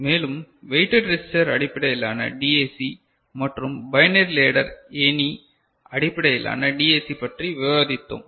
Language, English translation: Tamil, And, we discussed weighted register based DAC and binary ladder based DAC